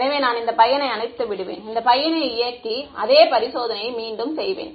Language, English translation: Tamil, So I will turn this guy off, turn this guy on and repeat the same experiment